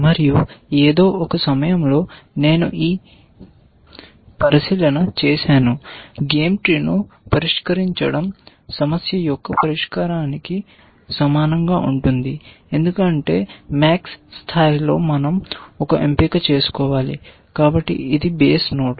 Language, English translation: Telugu, And at some point I had also made this observation that, solving a game tree is similar to solving an of problem because at the max level we have to make one choice, so it is an odd node